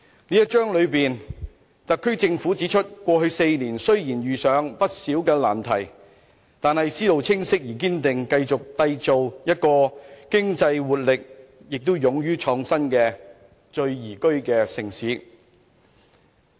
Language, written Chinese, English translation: Cantonese, 這一章裏面，特區政府指出，過去4年雖然遇上不少難題，但特區政府思路清晰而堅定，繼續締造一個具經濟活力、亦勇於創新的宜居城市。, In this chapter the SAR Government points out that despite the many difficulties encountered in the past four years it was committed to a clear and firm direction which is to continue to build an economically vibrant and creative city for living